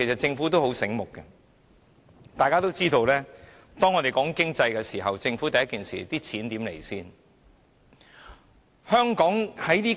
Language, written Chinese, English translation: Cantonese, 政府很聰明，大家都知道，每次我們討論經濟問題，政府馬上會問"錢從何來？, The Government is very clever . As we all know whenever we discuss economic issues the Government instantly asks us where the money comes from